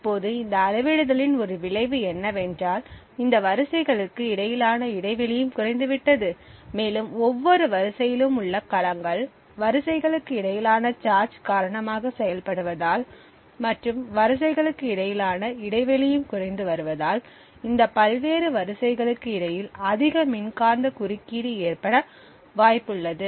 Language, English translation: Tamil, Now a consequence of this scaling was that the gap between these rows also reduced and since the cells in each row worked due to the charge present as the space between the rows reduced it became more and more likely that there would be interference between these various rows, essentially the closer the charged bodies are, the higher the electromagnetic interference between the various rows, this fact was actually utilized in the Rowhammer